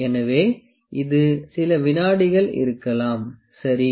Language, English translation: Tamil, So, it might be some seconds, ok